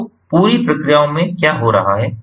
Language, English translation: Hindi, so what is happening in the entire processes